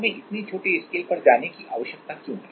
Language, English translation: Hindi, Why we need to go such small scale